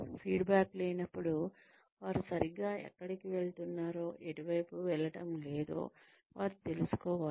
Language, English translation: Telugu, In the absence of feedback, they will not be able to know where they are going right and where they are not going right